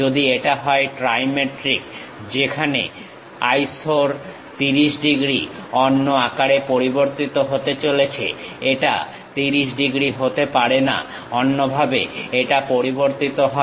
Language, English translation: Bengali, If it is trimetric, where this 30 degrees iso, 30 degrees is going to change in different size; it may not be 30 degrees, differently it varies